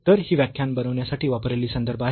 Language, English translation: Marathi, So, these are the references used for preparing the lectures